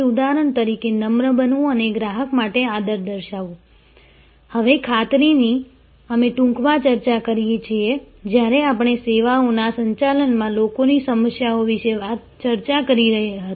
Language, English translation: Gujarati, As for example, being polite and showing respect for a customer, now assurance we briefly discuss this, when we discussed about the people issues in services management